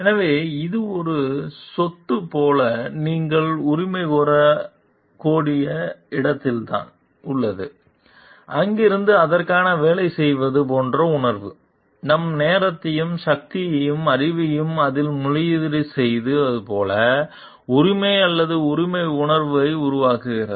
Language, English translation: Tamil, So, then it that is where you can claim like it is our property and from there and that like from that sense of like working for it, like investing our time and energy and knowledge into it a sense of entitlement or right develops